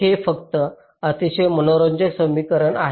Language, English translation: Marathi, ok, this is a very interesting equation